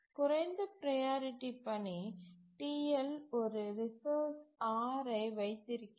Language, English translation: Tamil, So, here a low priority task, TL, is holding a non preemptible resource R